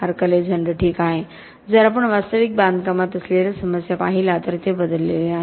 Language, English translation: Marathi, Mark Alexander: Well, if we look at the problems we have in real construction, then it has not changed